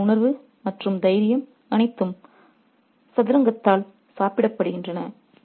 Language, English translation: Tamil, All their sense and courage has been eaten away by chess